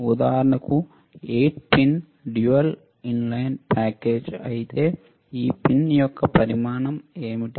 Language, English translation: Telugu, If for example, 8 pin dual inline package, what is this size of this pin